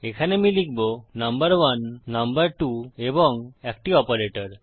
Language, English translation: Bengali, We have got our first number, our second number and an operator